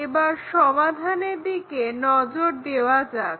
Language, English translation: Bengali, Let us look at the solution